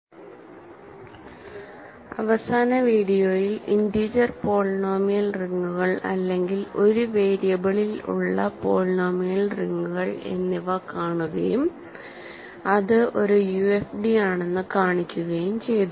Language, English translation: Malayalam, In the last video, we looked at polynomial rings over the integers, or polynomial rings in one variable and showed that it is a UFD